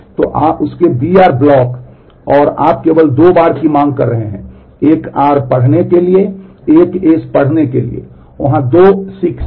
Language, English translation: Hindi, So, b r blocks of that and so, you are seeking only twice one for reading r, one for reading s there is a 2 seeks